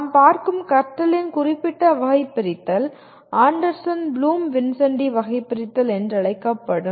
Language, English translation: Tamil, The particular taxonomy of learning that we are looking at will be called Anderson Bloom Vincenti Taxonomy